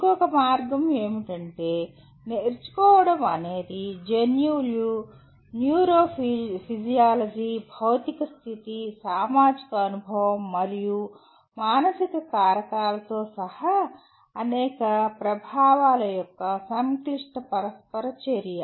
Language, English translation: Telugu, And another way of putting is, learning is a complex interaction of myriad influences including genes, neurophysiology, physical state, social experience and psychological factors